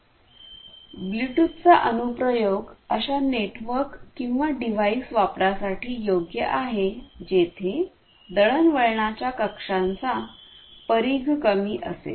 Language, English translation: Marathi, Application where Bluetooth is suitable for use are networks or devices which will have smaller radius of small communication range